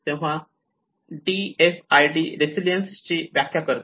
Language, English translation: Marathi, So DFID defines resilience